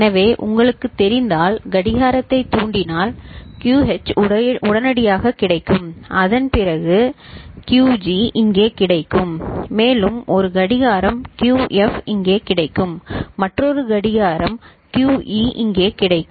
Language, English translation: Tamil, So, if you keep you know, triggering the clock so whatever is QH is immediately available, after that the QG will become available here, after one more clock QF will be available here, after another clock QE will be available here ok